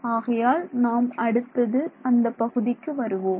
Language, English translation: Tamil, So, let us let us come to that next